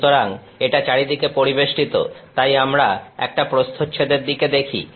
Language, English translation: Bengali, So, this is all surrounded; so, we are looking at a cross section